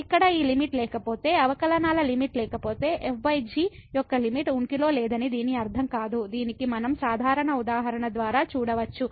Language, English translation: Telugu, So, if this limit here does not exist, if the limit of the derivatives does not exist; it does not mean that the limit of divided by does not exist which we can see by the simple example